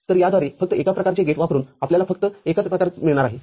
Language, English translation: Marathi, So, by this you are getting only one variety using only one variety of gates